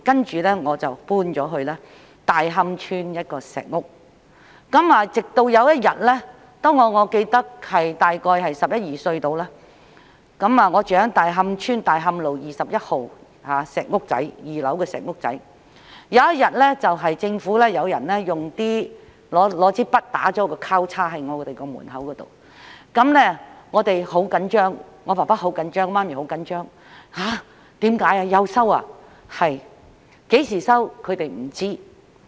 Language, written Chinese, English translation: Cantonese, 接着，我們便遷到大磡村一間石屋，直至有一天——我記得大約在十一二歲時，我住在大磡村大磡道21號一間小石屋的2樓——有政府人員在我們的門外用筆畫了一個交叉，我們便很緊張，我父母很緊張，知道政府又要收回土地。, And I remember one day I was about eleven or twelve years old at that time . I lived on the second floor of a small stone hut in Tai Hom Village at 21 Tai Hom Road . And one day some government officers arrived at our doorstep and drew a big cross on our door